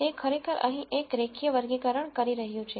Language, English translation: Gujarati, It is actually doing a linear classification here